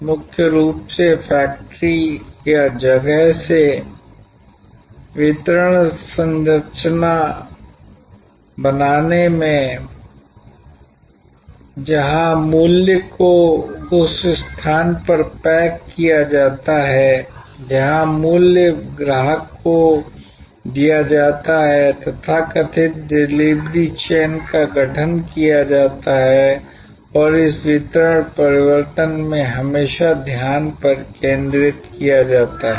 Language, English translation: Hindi, Fundamentally, in creating a distribution structure from the factory or from the place, where the value is packaged to the place where the value is delivered to the customer, constituted the so called delivery chain and in this delivery change, the focus is always been on reducing transaction cost